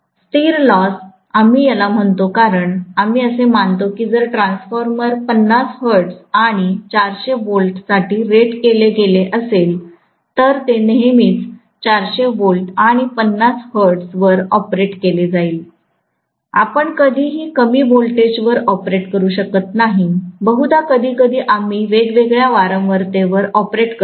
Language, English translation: Marathi, Constant loss we call it because we assume that if the transformer is rated for 50 hertz and 400 volts, it will always be operated at 400 volts and 50 hertz, hardly ever we operate it at lower voltage, hardly ever be operate it at different frequency than what it is rated for